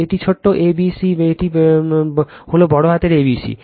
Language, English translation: Bengali, This is small a, b, c, this is capital A, B, C